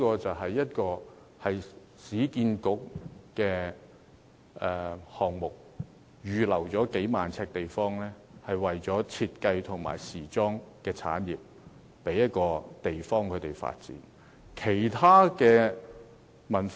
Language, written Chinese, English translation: Cantonese, 這市建局項目預留了數萬平方呎地方，為設計及時裝產業提供發展的地方。, This URA project has reserved an area of tens of thousand square metres as the venue for developing the design and fashion industry